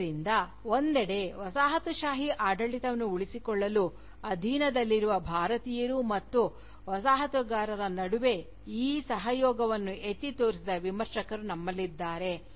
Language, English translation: Kannada, So, on the one hand, we have Critics, who have highlighted this collaboration, between subjugated Indians, and the Colonisers, to sustain the Colonial rule